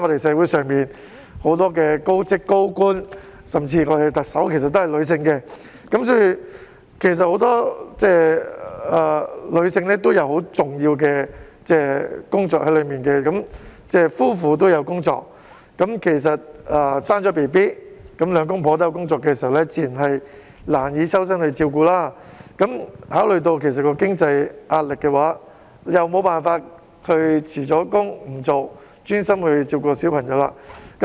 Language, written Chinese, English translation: Cantonese, 社會上很多高職位人士和高官，甚至我們的特首也是女性，所以很多女性其實也有很重要的工作，而當夫婦兩者也有工作時，在生完小孩後，如果兩夫婦也有工作，自然便難以抽身照顧小孩，若考慮到經濟能力問題，無法辭職專心照顧小孩時。, Many holders of senior positions and high ranking officials in society nowadays are women even our Chief Executive is a woman . Therefore many women are holding important posts . When the husband and wife have their respective jobs it would be quite difficult for them to spare time to take care of their child after the birth of the child